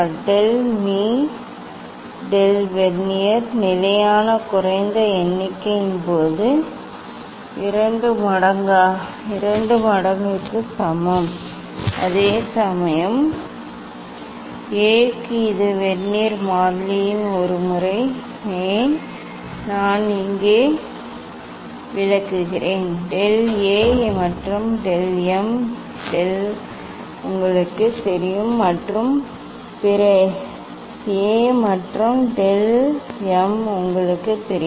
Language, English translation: Tamil, del of del m equal to 2 times of Vernier constant least count; whereas, for A it is one times of Vernier constant, why; that I explain here del A and del of del m is known to you and other A and del m is known to you